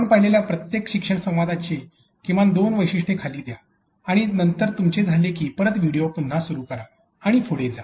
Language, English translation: Marathi, Let down at least two features of each of learning dialogues that you have seen and then once you are done resume the video and proceed with the next session